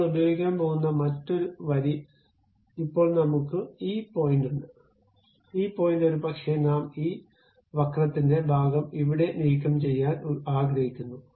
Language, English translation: Malayalam, The other line what we are going to use is now we have this point, this point, maybe I would like to remove this part of the curve here